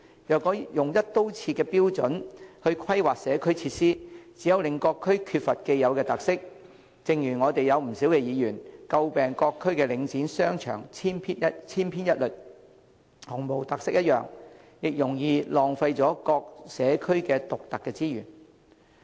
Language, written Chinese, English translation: Cantonese, 如果用"一刀切"的標準來規劃社區設施，只會令各區缺乏既有特色，正如不少議員詬病各區的領展商場千篇一律，毫無特色一樣，亦容易浪費了各社區獨特的資源。, If community facilities are planned by using the same standards across the board the characteristics of each district will be taken away . It is just like the criticisms made by some Members a moment ago that shopping malls under Link Real Estate Investment Trust are all the same without any individual characteristics . Moreover unique resources in each community may also be wasted easily